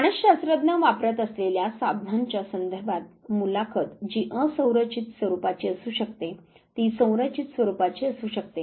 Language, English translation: Marathi, In terms of the tools that psychologist use interview which could be unstructured format it could be in structured format